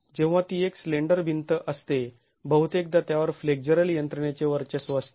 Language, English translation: Marathi, When it is a slender wall most often it is going to be dominated by flexural mechanisms